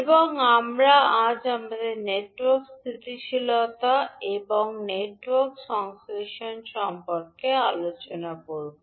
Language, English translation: Bengali, And we will continue our discussion today about the network stability and also we will discuss about the network synthesis